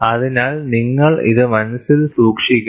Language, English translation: Malayalam, So, we have to keep this in mind